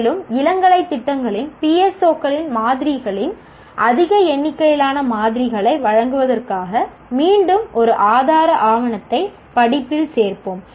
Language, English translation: Tamil, And once again, we will be adding a resource document to the course to give a much larger number of samples of PSOs of undergraduate programs